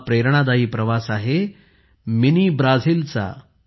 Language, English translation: Marathi, This is the Inspiring Journey of Mini Brazil